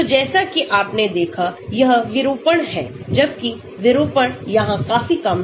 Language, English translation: Hindi, So, as you can see that is ditorsion, whereas the distortion here is much lower